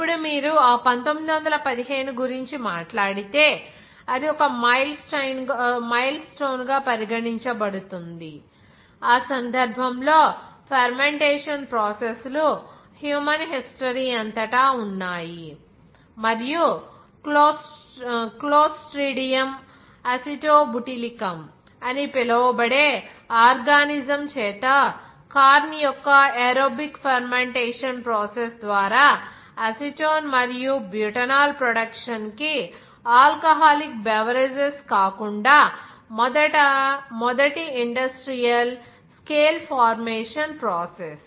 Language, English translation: Telugu, Now if you talk about that that 1915, in it was regarded as a milestone 1 in that case fermentation processes have existed throughout human history and the first industrial scale formation process other than alcoholic beverages for the production of acetone and butanol through the anaerobic fermentation of corn by the organism that is called clostridium acetobutylicum